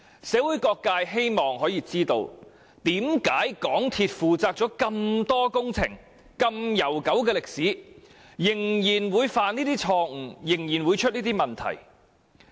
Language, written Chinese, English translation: Cantonese, 社會各界希望知道，為何港鐵公司曾進行這麼多工程，歷史如此悠久，仍然會犯這種錯誤，仍然會有這些問題。, All sectors of the community want to know why MTRCL having carried out so many construction projects in its long history still made such mistakes and ran into such problems